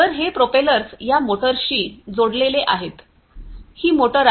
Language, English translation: Marathi, So, these propellers are connected to these motors, this is a motor